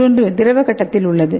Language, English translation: Tamil, And the other one in the liquid phase